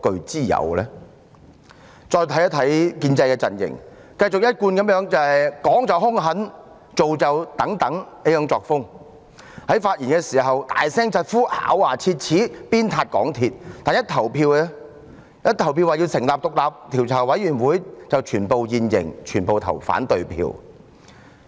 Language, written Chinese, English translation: Cantonese, 再看看建制派陣營，繼他們依舊是"講就兇狠，做就等等"，在發言時大聲疾呼、咬牙切齒地鞭撻港鐵公司，但在就成立專責委員會進行表決時便現形，全部投反對票。, Take a look at the pro - establishment camp then . They are still the same as before that is ruthless in words but tardy in actions . Though they yelled and gnashed their teeth when making severe criticism against MTRCL in their speeches their real stance became clear during voting as they voted against the motion for establishing a select committee